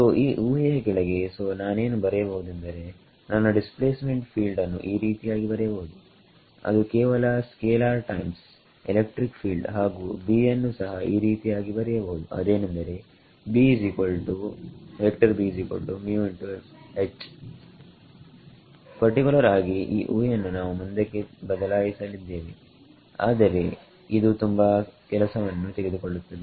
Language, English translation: Kannada, So, over here under this assumption; so, I can write down that my displacement field can be written as just a scalar times electric field and B also can be written as mu H in particular this assumption we will change later, but it takes a lot of work